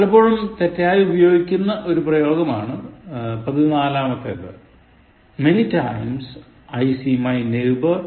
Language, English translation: Malayalam, 14, many times is wrong usage, as in the sentence, Many times I see my neighbour cycling to my office